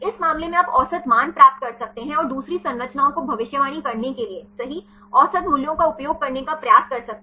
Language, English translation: Hindi, In this case you can get the average values and try to use the average value for predicting the second the structures right